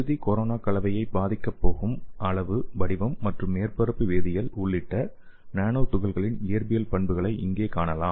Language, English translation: Tamil, So here you can see the physical properties of nanoparticles including the size, shape and surface chemistry, which is going to effect the final corona composition okay